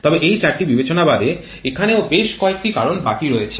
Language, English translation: Bengali, But apart from this 4 considerations there are still quite a few factors left out